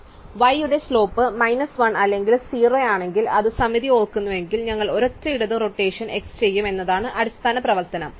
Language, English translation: Malayalam, So, then the basic basics operation is that if y has slope minus 1 or 0 its symmetric remember, then we will do a single left rotation x